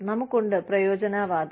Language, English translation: Malayalam, We have, utilitarianism